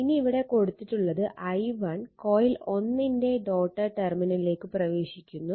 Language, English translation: Malayalam, Now, similarly now that is I that is i1 enters the dotted terminal of coil 1